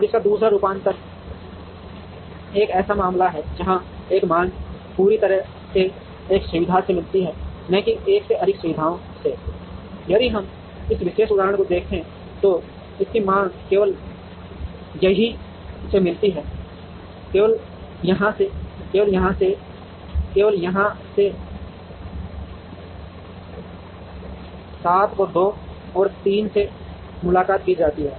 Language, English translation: Hindi, Now, the second variation of this, is a case where, a demand met entirely by one facility and not by more than one facility, if we see this particular example, the demand of this is met only from here, only from here, only from here, only from here, 5 is met both from 2 and 3